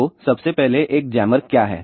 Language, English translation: Hindi, So, first of all what is a jammer